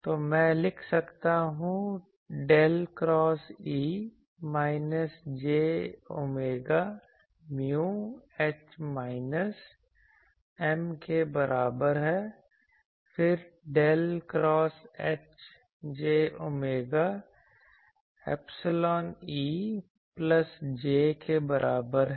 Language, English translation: Hindi, So, I can write del cross E is equal to minus j omega mu H minus M, then del cross H is equal to j omega epsilon E plus J